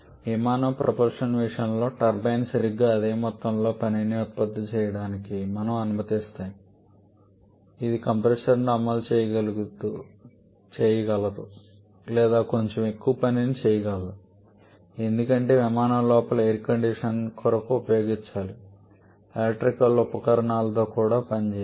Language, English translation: Telugu, In case of aircraft propulsion, we allow the turbine to produce exactly the same amount of work which is able to run the compressor or maybe slightly higher amount of work because we also need to run the air conditioners inside the aircraft the electrical appliances etc